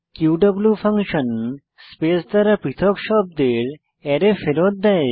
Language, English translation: Bengali, qw function returns an Array of words, separated by space